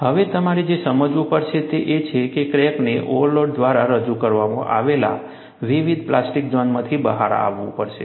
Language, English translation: Gujarati, Now, what you will have to realize is, the crack has to come out of the larger plastic zone, introduced by the overload